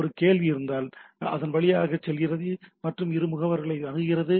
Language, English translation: Tamil, So, if there is a query, it goes through and access these agents